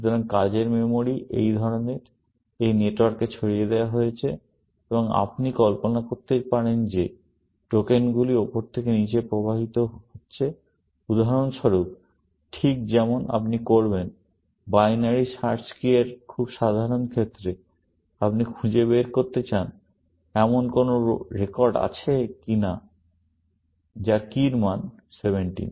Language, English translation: Bengali, So, the working memories, kind of, distributed over this network, and you can imagine that tokens are flowing from top to down, just like you would do, for example, in the very simple case of binary search key; you want to find out, whether there is a record whose, key value is 17